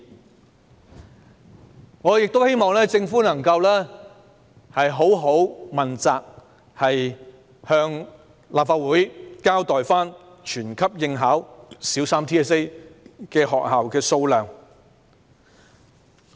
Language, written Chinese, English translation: Cantonese, 此外，我亦希望政府能認真問責，向立法會交代全級應考小三 BCA 學校的數目。, Moreover I also hope that the Government can be genuinely accountable and inform the Legislative Council of the number of schools which have all their Primary Three students sit for BCA